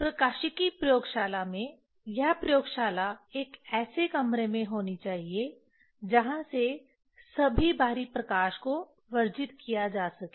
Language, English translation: Hindi, In optics laboratory, this laboratory should be in a room from which all external light can be excluded